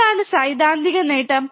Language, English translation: Malayalam, What is theoretical gain